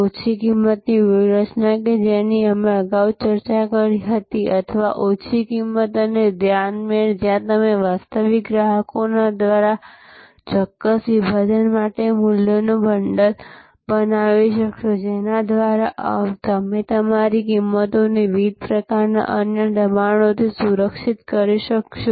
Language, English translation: Gujarati, The low cost strategy that we discussed earlier or low cost and focus combination, where you will be able to create a bundle of values for a certain segment of customers by virtual of which you will be able to shield your pricing from different types of other pressures